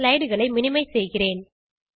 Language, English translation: Tamil, Let me minimize the slides